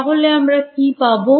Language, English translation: Bengali, So, then what